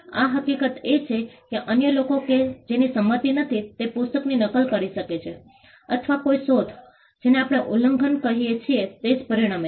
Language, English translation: Gujarati, The fact that others who do not have as consent can make copies of the book or an invention would itself result to what we call infringement